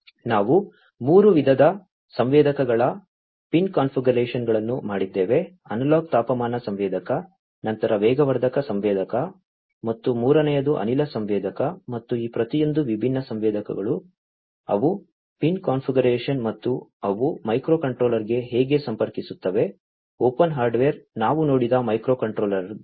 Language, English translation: Kannada, We have looked at the pin configurations of 3 types of sensors analog temperature sensor, then accelerometer sensor, and third is the gas sensor, and each of these different sensors, they are pin configuration and how they connect to the microcontrollers, open hardware microcontrollers that also we have seen